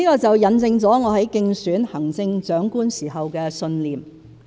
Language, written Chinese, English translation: Cantonese, 這印證了我在競選行政長官時的信念。, All these are testimonies to the belief held by me when I was running for the Chief Executive